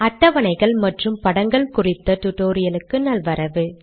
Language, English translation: Tamil, Welcome to this tutorial on tables and figures